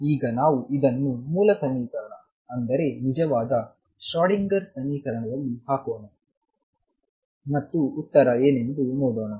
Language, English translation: Kannada, Let us now substitute this in the original equation the true Schrodinger equation and see what the answer comes out to be